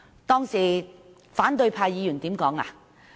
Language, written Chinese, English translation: Cantonese, 當時反對派議員說甚麼？, What did the opposition parties say then?